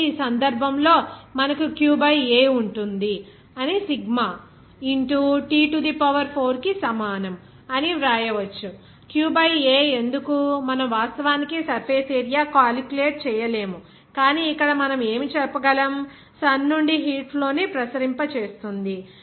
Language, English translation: Telugu, So, in this case, you can then write that q by A will be is equal to sigma into T to the power 4, why q by A we are not actually calculating the surface area, but we can say that here what will be the radiating heat flux from the sun